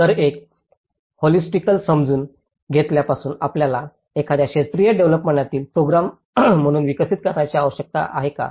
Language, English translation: Marathi, So, from a very holistically understanding do we need to develop as a program in a sectoral development